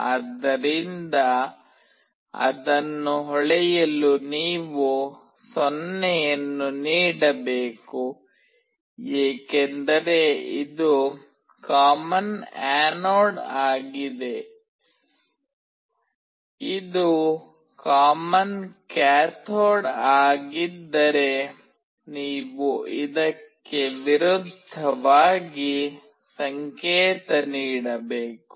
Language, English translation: Kannada, So, to glow it you need to pass a 0, because it is a common anode; if it is common cathode, you have to do the opposite one